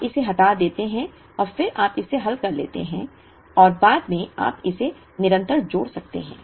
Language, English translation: Hindi, You remove it and then you solve it and later, you can add that constant into it